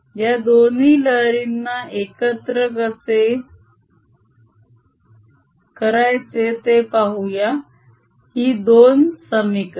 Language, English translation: Marathi, let us see how we can combine these two waves, these two equations